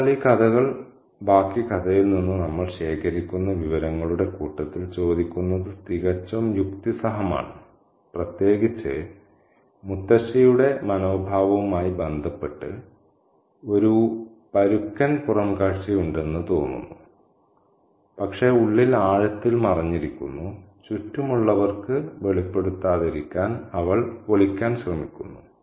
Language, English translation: Malayalam, So, these questions are quite logical to ask in the set of information that we collect from the rest of the story, especially in relation to the attitude of the grandmother who seems to have a rough exterior but deep down hidden inside, there is a soft corner that she tries to kind of hide and not reveal to those around her